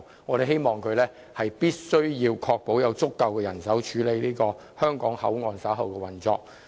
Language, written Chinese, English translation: Cantonese, 我們希望政府能確保會有足夠人手處理香港口岸日後的運作。, We hope the Government can ensure adequate manpower for coping with HKPs future operation